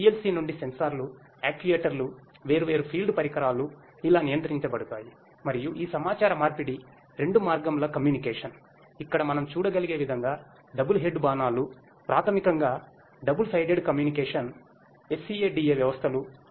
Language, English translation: Telugu, From the PLC the sensors, actuators, the different field devices are controlled like this and so on and these communications are two way communication as we can see over here the double headed arrows basically represent the that there is you know double sided communication SCADA systems